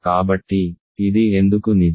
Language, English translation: Telugu, So, why is this true